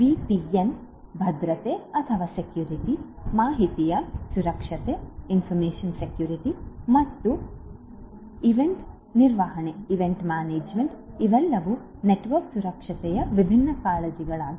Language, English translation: Kannada, VPN security, security of information and event management these are all the different other concerns in network security